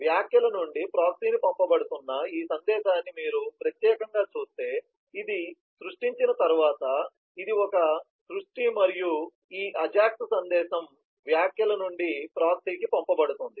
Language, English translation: Telugu, and if you particularly look at this message being sent from comments to proxy, after this was a create and this ajax message is being sent from the comments to proxy